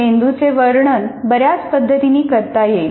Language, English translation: Marathi, Now, the brain can be described in several ways